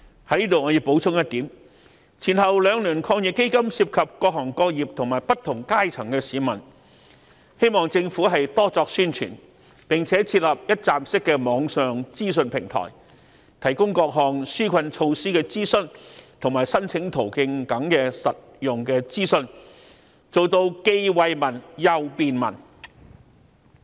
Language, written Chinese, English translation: Cantonese, 在此我要補充一點，前後兩輪抗疫基金涉及各行各業和不同階層的市民，希望政府多作宣傳，並且設立一站式的網上資訊平台，提供各項紓困措施的諮詢及申請途徑等實用資訊，做到既惠民又便民。, Here I would like to make a point . As the two rounds of AEF involve various trades and industries as well as people from different strata we hope the Government will step up publicity and set up an one - stop information portal to provide the public with convenient access to enquiry channels and application methods for the relief measures as well as other useful information